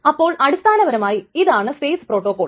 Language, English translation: Malayalam, So that is the strict two phase locking protocol